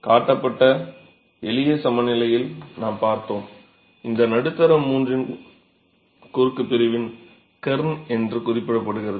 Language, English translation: Tamil, We saw by simple equilibrium that was shown and this middle third is also referred to as the kern of the cross section